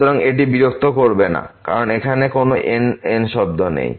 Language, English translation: Bengali, So, this will not disturb because there is no term here